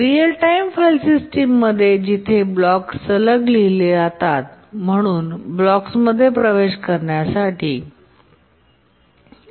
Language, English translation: Marathi, In a real time file system, the blocks are written consecutively so that the access time to the blocks becomes predictable